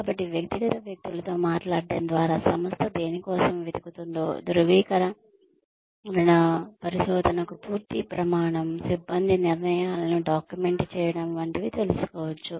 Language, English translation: Telugu, So, by speaking to individual people, one can find out, what the organization may be looking for as, a whole criteria for validation research, documenting personnel decisions